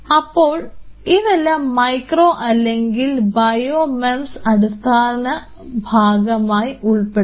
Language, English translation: Malayalam, So, these all fall under the basic purview of micro or bio MEMS